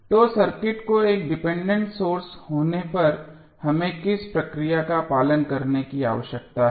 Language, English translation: Hindi, So, what the process we need to follow when the circuit contains a dependent source